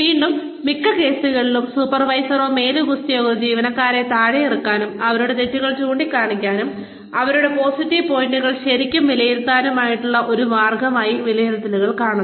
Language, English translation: Malayalam, Again, in most cases, supervisors or superiors see, appraisals as a way, to pull down the employees, to point out their mistakes, and not really appraise their positive points